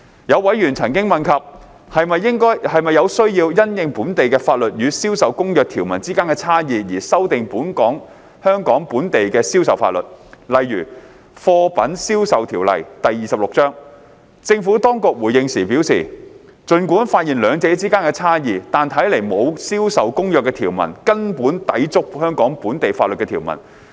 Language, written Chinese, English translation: Cantonese, 有委員曾問及是否有需要因應本地法律與《銷售公約》條文之間的差異而修訂香港本地的銷售法律，例如《貨品售賣條例》，政府當局回應時表示，儘管發現兩者之間的差異，但看來沒有《銷售公約》條文根本抵觸香港本地法律的條文。, Some members had asked whether there was a need to amend the local laws relating to sales in Hong Kong to accommodate the differences between local laws and the provisions of CISG such as the Sale of Goods Ordinance Cap . 26 . The Administration responded that despite the discrepancies identified it did not appear that the provisions of CISG were fundamentally inconsistent with the provisions of Hong Kong law